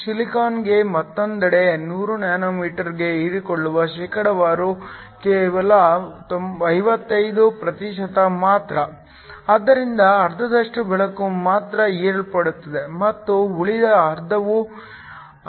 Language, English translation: Kannada, For silicon, on the other hand the percentage absorbed for 100 nm is only 55 percent, so only half the light is absorbed and the other half gets transmitted